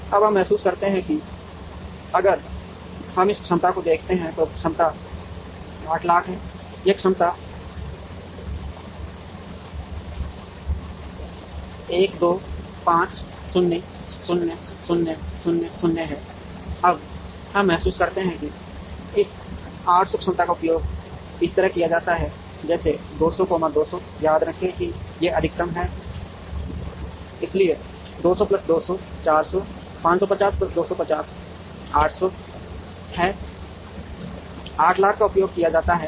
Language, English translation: Hindi, Now, we realize that, if we see this capacity, this capacity is 800000, this capacity is 1 2 5 0 0 0 0, now we realize that, this 800 capacity is utilized like this 200, 200 remember these are in 1000s, so 200 plus 200 400, 550 plus 250 is 800, 800000 is utilized